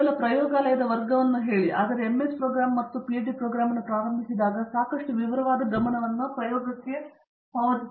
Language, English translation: Kannada, Just say a lab class, but now when they start up MS program or a PhD program where enough detail attention has to be paid to the experiment, the way it is carried out preciseness reputation